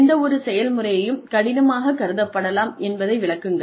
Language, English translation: Tamil, Explain whatever process, may be perceived to be difficult